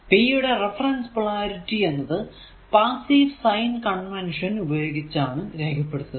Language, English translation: Malayalam, So, so reference polarities for power using the passive sign convention